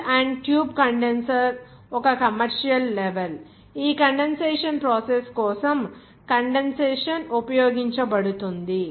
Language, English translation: Telugu, The shell and tube condenser is a commercial level which is being used for condensation for this condensation process